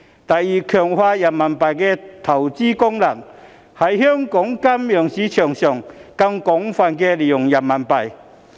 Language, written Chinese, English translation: Cantonese, 第二，強化人民幣的投資功能，在香港金融市場上更廣泛使用人民幣。, Second the investment function of RMB should be strengthened through the wider use of RMB in Hong Kongs financial market